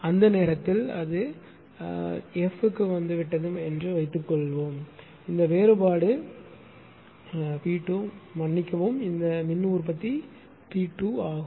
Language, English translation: Tamil, So, that is why suppose it has come down to F at that time this difference is P 2 sorry, this power generation is P 2